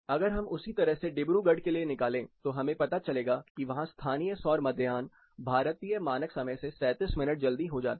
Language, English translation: Hindi, In the case of Dibrugarh, in the same way if we calculate, we find that the local solar noon occurs 37 minutes earlier than the Indian standard time